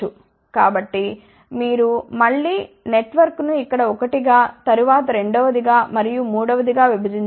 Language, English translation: Telugu, So, you again divide the network into one here, then second second and then third one